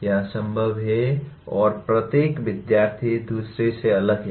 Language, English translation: Hindi, It is impossible and each student is different from the other